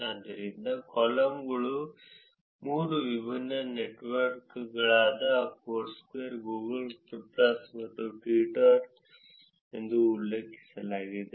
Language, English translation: Kannada, So, the columns are referred three different networks Foursquare, Google plus and Twitter